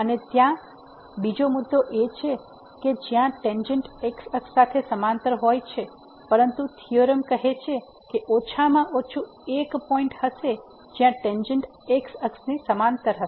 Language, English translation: Gujarati, And, there is another point where the tangent is parallel to the , but the theorem says that there will be at least one point where the tangent will be parallel to the